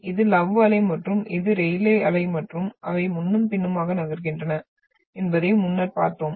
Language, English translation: Tamil, This is an love wave and this is an rayleigh wave and the previously we had seen that they are moving back and forth